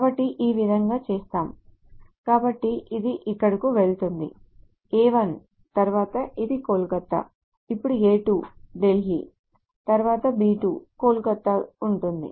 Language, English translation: Telugu, So this will go here A first, then this is Kolkata, then there will be A second, Daly, then B second, Kolkata